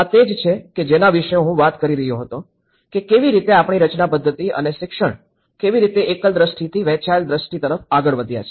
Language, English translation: Gujarati, That is what till now, I was talking about how our design methodology and the teaching has been progressed from a singular vision to a shared vision